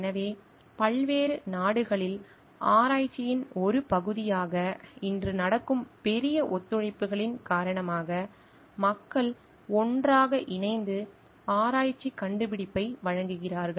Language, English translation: Tamil, So, because of large collaborations which are happening today as a part of research maybe throughout different countries, people are collaborating together to give a research finding